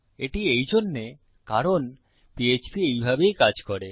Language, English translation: Bengali, That is, because of the way PHP works